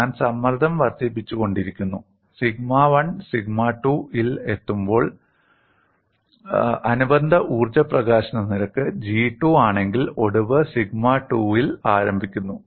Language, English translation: Malayalam, I keep increasing the stress and when sigma 1 reaches sigma 2, and the corresponding energy release rate is G 2, fracture initiates at sigma 2